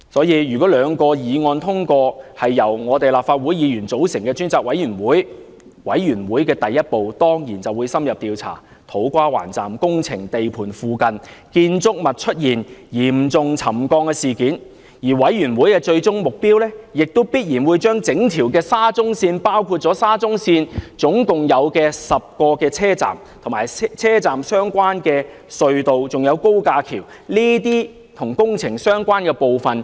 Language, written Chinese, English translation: Cantonese, 因此，如果兩項議案獲得通過，由立法會議員組成專責委員會，第一步當然是深入調查土瓜灣站工程地盤附近建築物出現嚴重沉降的事件，而專責委員會的最終目標，亦必然是針對整條沙中線，包括沙中線合共10個車站、車站相關的隧道及高架橋，全面調查這些與工程相關的部分。, Therefore if the two motions are passed and a select committee comprising of Legislative Council Members is set up the conduct of an in - depth investigation into the serious settlement of buildings in the vicinity of the To Kwa Wan Station site will certainly be the very first step to take . The ultimate goal of the select committee is to carry out a thorough investigation into the works relating to the whole SCL Project including the 10 stations of SCL as well as the related tunnel and viaduct works